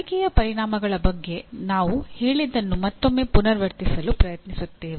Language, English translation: Kannada, Now, once again we will try to repeat what we have stated about learning outcomes